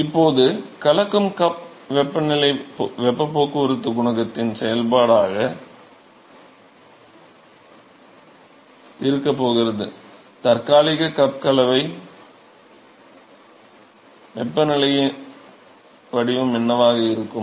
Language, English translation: Tamil, So, now here that mixing cup temperature is now going to be a function of the heat transport coefficient, what will be the temp mixing cup temperature profile